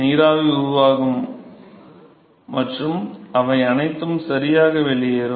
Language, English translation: Tamil, So, the vapor will form and they will all escape out ok